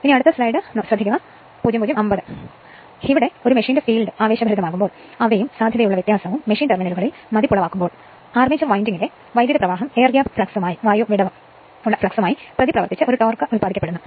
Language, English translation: Malayalam, Now, when the field of a machine is excited and they and the potential difference is impressed upon the machine terminals, the current in the armature winding reacts with air gap flux to produce a torque which tends to cause the armature to revolve right